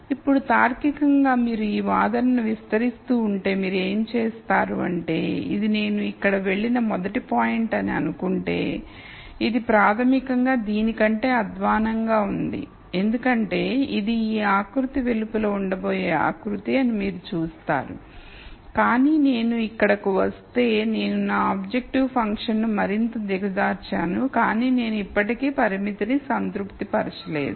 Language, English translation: Telugu, Now logically if you keep extending this argument you will see that, let us say this is the first point I moved here which is basically worse than this because you see this is a contour which is going to be outside of this contour, but I moved here I made my objective function worse, but I still am not satisfying the constraint